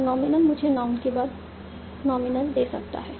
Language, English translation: Hindi, And nominal can give me nominal followed by a noun